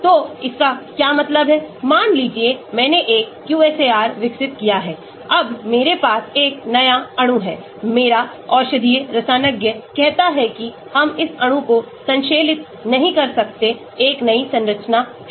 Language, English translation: Hindi, so what it means is , suppose I developed a QSAR, now I have a unknown new molecule, my medicinal chemist says cant we synthesize this molecule, a new structure